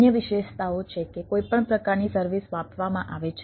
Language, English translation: Gujarati, there is another characteristics: any type of services are measured services